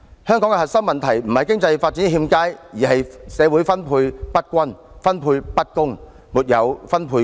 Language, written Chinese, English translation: Cantonese, 香港的核心問題不是經濟發展欠佳，而是社會分配不均及分配不公。, The crux of Hong Kongs problem is not poor economic performance but uneven and unjust distribution of wealth in society